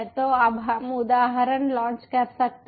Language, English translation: Hindi, so so now we can launch the instance